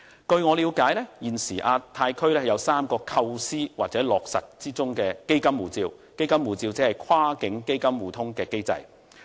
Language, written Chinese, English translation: Cantonese, 據我了解，現時亞太區有3個構思，當中的"基金護照"機制或會落實。, As far as I know there are three conceptions in the Asia - Pacific Region now and of them the Asia Region Funds Passport may be implemented